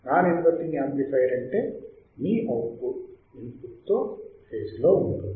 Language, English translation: Telugu, Non inverting amplifier means your output would be in phase with the input in phase that means